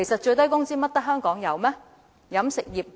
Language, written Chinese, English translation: Cantonese, 難道只有香港有飲食業嗎？, Does the catering industry only exist in Hong Kong?